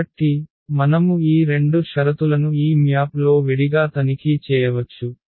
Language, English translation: Telugu, So, we can check those 2 conditions separately on this map